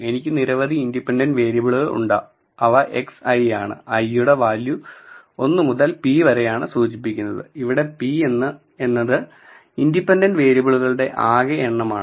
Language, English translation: Malayalam, I have several independent variables which are denoted by x i and i code ranges from 1 to p, where p is the total number of independent variables